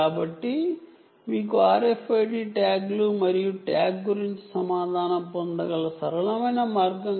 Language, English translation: Telugu, so this is a simple way by which you can have r f i d tags and information about the tag being read